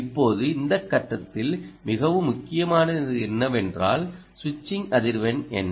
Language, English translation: Tamil, now what is very important in this stage, at this stage, is what is the switching frequency